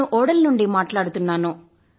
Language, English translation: Telugu, I am speaking from Bodal